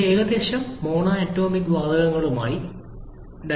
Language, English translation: Malayalam, This corresponds to roughly monatomic gases